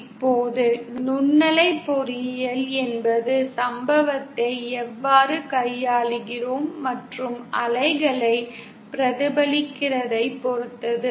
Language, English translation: Tamil, Now, microwave engineering is all about how we manipulate the incident and reflected waves